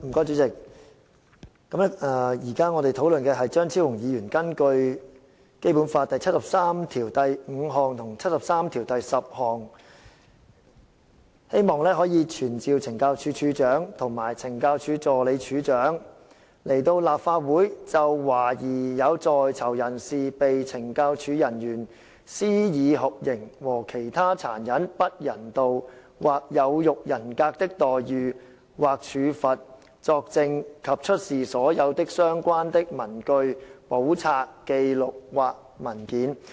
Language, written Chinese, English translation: Cantonese, 主席，我們現在討論的是張超雄議員根據《基本法》第七十三條第五項及第七十三條第十項動議的議案，傳召懲教署署長及懲教署助理署長到立法會席前，就懷疑有在囚人士被懲教署人員施以酷刑和其他殘忍、不人道或有辱人格的待遇或處罰作證及出示所有相關的文據、簿冊、紀錄或文件。, President we are now discussing the motion moved by Dr Fernando CHEUNG under Articles 735 and 7310 of the Basic Law of the Hong Kong Special Administrative Region of the Peoples Republic of China which seeks to summon the Commissioner of Correctional Services and the Assistant Commissioner of Correctional Services to attend before the Council to testify and to produce all relevant papers books records or documents in relation to suspected torture and other cruel inhuman or degrading treatment or punishment inflicted by any officer of the Correctional Services Department on the prisoners